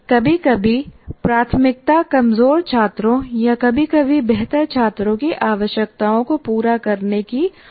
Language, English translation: Hindi, And then sometimes the priority could be how to address the requirements of weak students or sometimes the better students